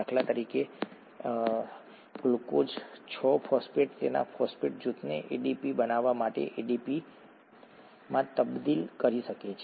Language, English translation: Gujarati, For example, glucose 6 phosphate can transfer its phosphate group to ADP to form ATP